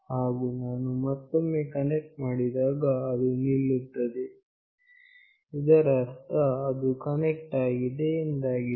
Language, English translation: Kannada, And when I again connect, it has stopped that means it has connected